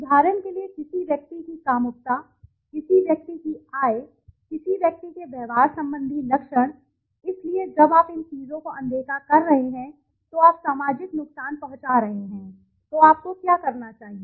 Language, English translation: Hindi, For example the sexuality of a person, the income of a person, behavioral traits of a person, so when you are doing this by ignoring these things you are causing social harm, so what should you do